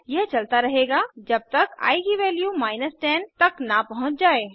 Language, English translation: Hindi, This goes on till i reaches the value 11